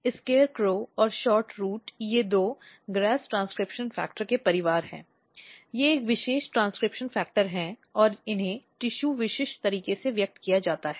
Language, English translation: Hindi, So, SCARECROW and SHORT ROOT, these are two GRAS family of transcription factor, they are a special transcription factor and they are expressed in a tissue specific manner